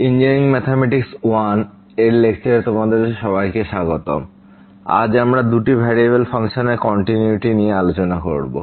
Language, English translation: Bengali, Welcome to engineering mathematics 1 and today we will be talking about a Continuity of Functions of two Variables